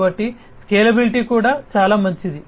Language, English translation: Telugu, So, the scalability is also much better